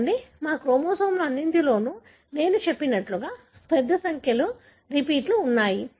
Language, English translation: Telugu, See, in all our chromosomes we have a large number of repeats, as I said